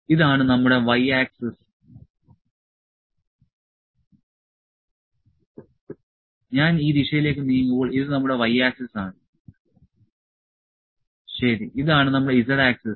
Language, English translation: Malayalam, So, this is our y axis when I move in this direction this is our y axis, ok, this is our z axis, this is z axis